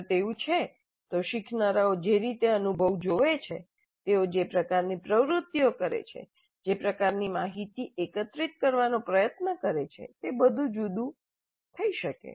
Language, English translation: Gujarati, If that is so, the way the learners look at the experience, the kind of activities they undertake, the kind of information that they try to gather, would all be different